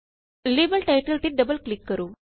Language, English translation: Punjabi, Double click on the label title